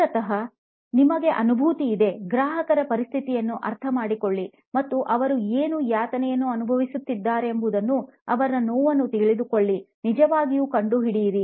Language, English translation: Kannada, It is basically that you have empathised, where you put yourself into the shoes of your customer and know their suffering to what is it that they are going through, really find out